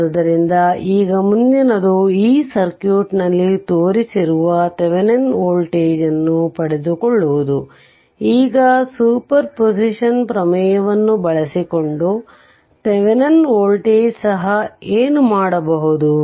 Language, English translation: Kannada, So, now next one is you obtain the Thevenin voltage shown in the circuit of this thing, now what to what Thevenin voltage also you can obtain by using super position theorem